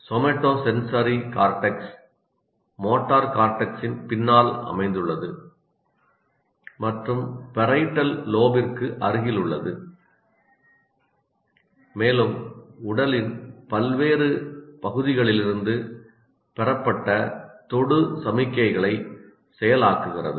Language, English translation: Tamil, And somatosensory is located behind motor cortex and close to the parietal lobe and process touch signals received from various parts of the body